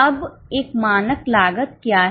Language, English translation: Hindi, Now, what is a standard cost